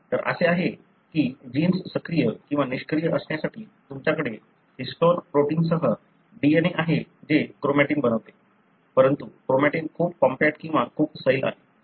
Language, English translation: Marathi, You know, there are, for a gene to be active or inactive, you know, you have the DNA along with the histone protein which forms the chromatin, but the chromatin is very compact or very loose